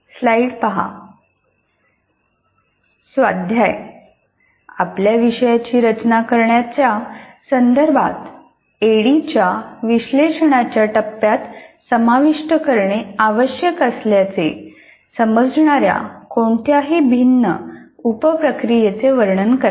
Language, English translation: Marathi, Describe any different sub processes you consider necessary to include in the analysis phase of ADD with respect to designing your course